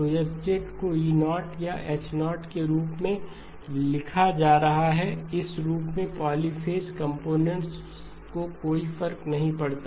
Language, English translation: Hindi, So H is being written as either E0 or H0, does not matter polyphase components of this form